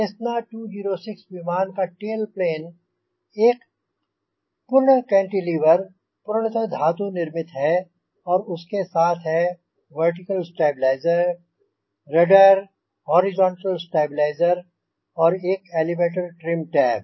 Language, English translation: Hindi, it is hinge mounted tail plane of a cessna two zero six aircraft is a full cantilever, all metal construction with the vertical stabilizer, the rudder, horizontal stabilizer and an elevator with an elevator trim tab